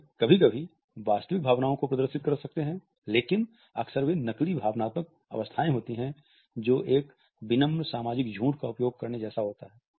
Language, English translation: Hindi, They can display sometimes real emotions also, but they are often faked emotional states which are like using a polite social lies